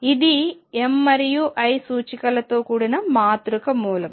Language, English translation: Telugu, This is a matrix element with m and l indices